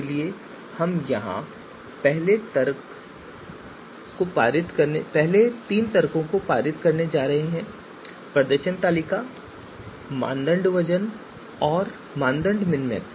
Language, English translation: Hindi, So we have performance table then criteria weights and criteria minmax